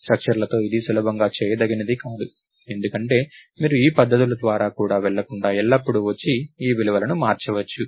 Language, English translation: Telugu, With structures its not easily doable because you can always come and manipulate these values without going through these methods